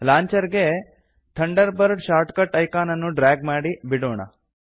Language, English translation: Kannada, Lets drag and drop the Thunderbird short cut icon on to the Launcher